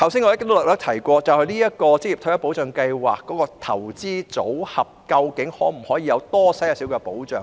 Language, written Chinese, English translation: Cantonese, 我剛才問，職業退休計劃的投資組合可否提供多一點保障？, Just now I asked whether the investment portfolios of OR Schemes could provide more protection